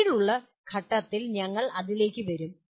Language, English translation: Malayalam, We will come to that at a later point